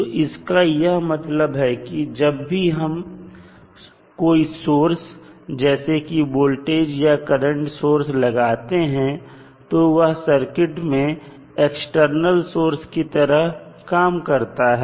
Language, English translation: Hindi, So, that means when we apply any external source like voltage source we applied source or maybe the current source which you apply so that acts as a external source for the circuit